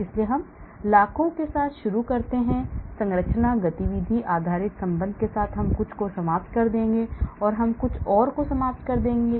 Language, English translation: Hindi, So I may start with millions then with structure activity based relationship I eliminate some, by binding I eliminate some more